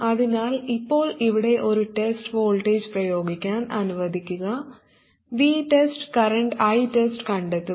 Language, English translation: Malayalam, So now let me apply a test voltage here, V test, and find the current flowing I test